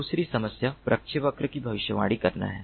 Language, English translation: Hindi, the second problem is to predict the trajectory